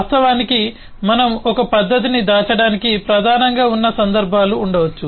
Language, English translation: Telugu, in fact there could be instances where we main into hide a method